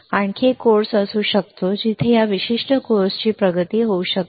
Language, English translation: Marathi, So, there can be another course where it can be advancement of this particular course ok